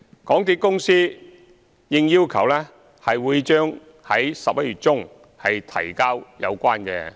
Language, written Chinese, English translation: Cantonese, 港鐵公司應要求，將在11月中提交有關報告。, The MTRCL will submit the report concerned in mid - November as requested